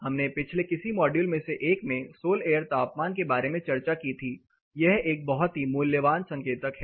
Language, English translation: Hindi, We did discuss about sol air temperature in one of the previous module, this is a very valuable indicator